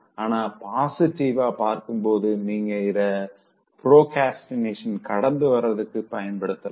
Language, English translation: Tamil, But, on a positive note, you can use this to beat procrastination